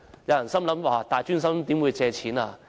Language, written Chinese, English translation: Cantonese, 有人會想，大專生怎會借錢呢？, Some people may wonder why post - secondary students would borrow money